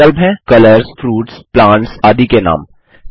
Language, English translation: Hindi, The different options are names of colors, fruits, plants, and so on